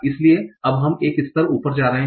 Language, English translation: Hindi, Now we are going one level up